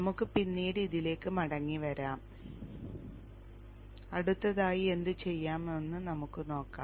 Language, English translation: Malayalam, Anyway, we will come back to that later and we will see what to do next